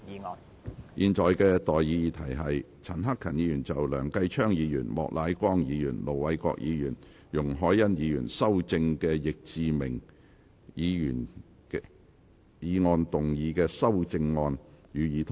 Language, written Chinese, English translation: Cantonese, 我現在向各位提出的待議議題是：陳克勤議員就經梁繼昌議員、莫乃光議員、盧偉國議員及容海恩議員修正的易志明議員議案動議的修正案，予以通過。, I now propose the question to you and that is That Mr CHAN Hak - kans amendment to Mr Frankie YICKs motion as amended by Mr Kenneth LEUNG Mr Charles Peter MOK Ir Dr LO Wai - kwok and Ms YUNG Hoi - yan be passed